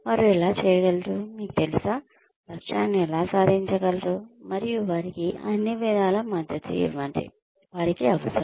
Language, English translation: Telugu, How they can, you know, achieve the goals so, and give them all the support, they need